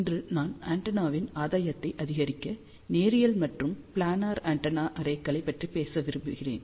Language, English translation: Tamil, So, today I am going to talk about linear and planar antenna arrays to increase the gain of the antenna